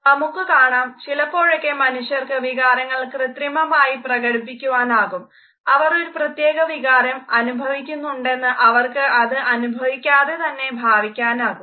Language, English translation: Malayalam, Sometimes we find that people can simulate emotion, expressions and they may attempt to create the impression that they feel an emotion whereas, they are not experiencing it at all